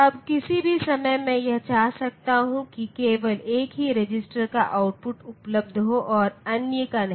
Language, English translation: Hindi, Now at any point of time I may want that output of only one register be available and others are not